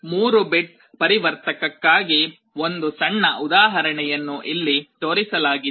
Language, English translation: Kannada, One small example is shown here for a 3 bit converter